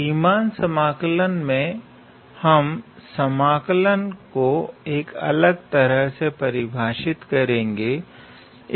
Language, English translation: Hindi, In Riemann integral, we will look at integrals in a little bit different way